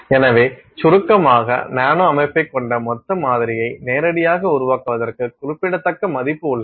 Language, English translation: Tamil, So, in summary, there is significant value to directly making a bulk sample that has a nanostructure